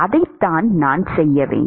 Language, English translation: Tamil, That is what I need to do